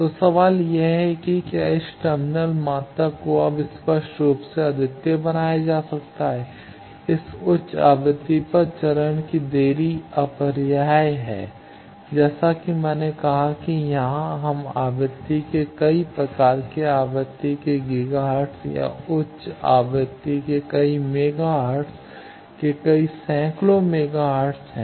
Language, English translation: Hindi, So, the question is can this terminal quantities been made unique now obviously, phase delay is unavoidable at this high frequency as I said that here, since we are very high end of frequency gigahertz sort of frequency or several megahertz of frequency several hundreds of megahertz of frequency